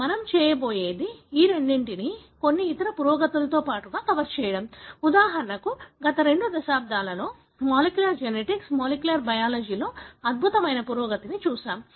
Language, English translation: Telugu, So, what we are going to do is to cover these two along with some other advancements, like for example in the last two decades we have seen tremendous advancement in molecular genetics, molecular biology